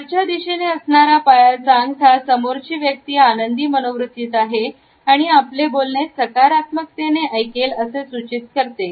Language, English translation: Marathi, Toes pointing upwards suggest that the person is in a good mood or is likely to hear something which is positive